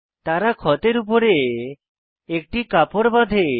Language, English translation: Bengali, Then they tied a cloth above the wound